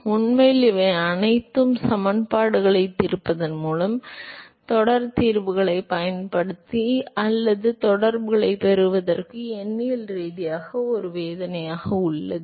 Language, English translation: Tamil, So, to really it just all of these have been a pain by solving the equations, either using series solutions or numerically in order to obtain these correlations